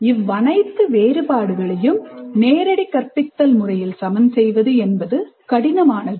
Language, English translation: Tamil, It may be very difficult to accommodate these differences in direct instruction